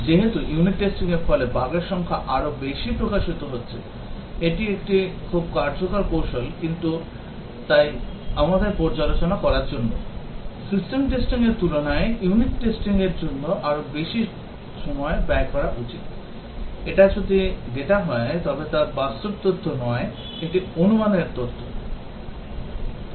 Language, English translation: Bengali, Since unit testing is exposing more number of bugs, it is a very effective technique, and therefore, we should spend more time on unit testing compare to let us say reviews, system testing if this is the data, but then it is not real data, a hypothetical data